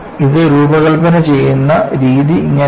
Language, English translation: Malayalam, It is not the way design works